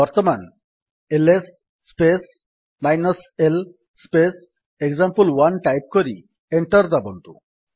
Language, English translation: Odia, Now type: $ ls space l space example1 and press Enter